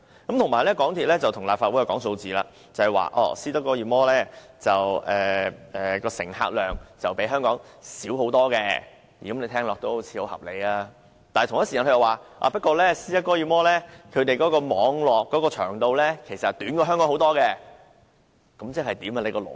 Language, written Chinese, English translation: Cantonese, 此外，港鐵公司又跟立法會講數字，說斯德哥爾摩的乘客量遠較香港小，聽起來好像很合理，但它同一時間又說，不過斯德哥爾摩的網絡長度遠較香港短，那即是甚麼？, Moreover MTRCL also quoted figures to argue with us . It said the passenger throughput in Stockholm was much smaller than that of Hong Kong which sounded very reasonable but then it also said that the rail length of the Stockholm Metro was much shorter than that of Hong Kong . What is the implication?